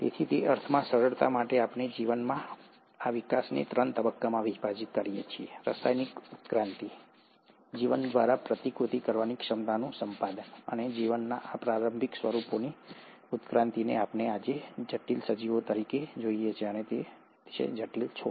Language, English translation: Gujarati, So, in that sense, for simplicity, we kind of divide this development of life into three phases, chemical evolution, acquisition of the replicative ability by life, and the evolution of these early forms of life into what we see today as complex organisms and complex plants